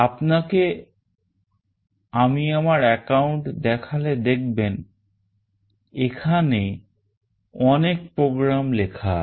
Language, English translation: Bengali, Once I show you from my account you will see that there are many programs that are written here